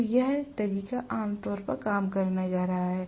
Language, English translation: Hindi, So, this is the way generally it is going to work